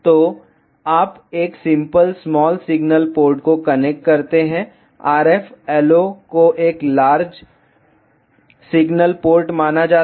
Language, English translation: Hindi, So, you connect a simple small signal port to the RF LO is considered as a large signal port